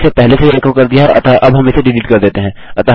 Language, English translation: Hindi, Weve echoed this out already, so now we can delete this